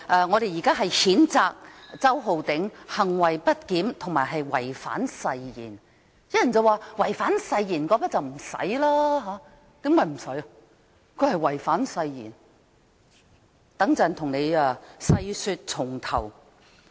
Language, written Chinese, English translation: Cantonese, 我們要譴責周浩鼎議員行為不檢及違反誓言，但有人說，違反誓言沒有需要被譴責；他真的違反了誓言，我稍後會為大家細說從頭。, We have to censure Mr Holden CHOW for misbehaviour and breach of oath but some said that breach of oath needs not be censured . He has breached the oath and I will elaborate later